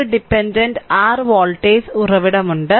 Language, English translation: Malayalam, So, dependent voltage source is there